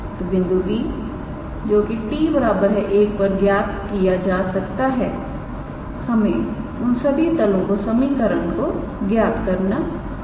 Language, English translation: Hindi, So, at the point P which can be evaluated at t equals to 1 we have to calculate the equations of all of these planes